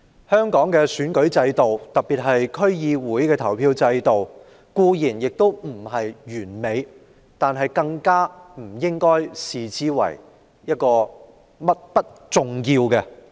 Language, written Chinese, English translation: Cantonese, 香港的選舉制度，特別是區議會的投票制度，固然並不完美，但不應因此被視為不重要。, The election system of Hong Kong especially the voting system of the District Council DC is by no means perfect but that does not mean that it should be taken lightly